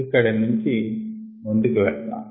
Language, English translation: Telugu, we will move forward from here